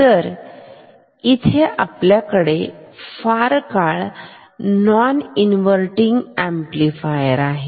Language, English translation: Marathi, So, now this is no longer a non inverting amplifier ok